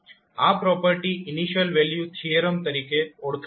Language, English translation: Gujarati, So this particular property is known as the initial value theorem